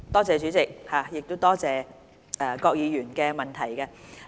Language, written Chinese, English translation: Cantonese, 主席，多謝郭議員的補充質詢。, President I wish to thank Mr KWOK for raising his supplementary question